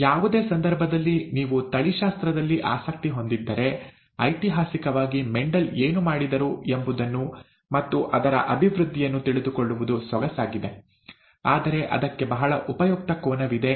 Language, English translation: Kannada, In any case, historically it is nice to know what Mendel did and the development of that if you are interested in genetics; but there is a very useful angle to it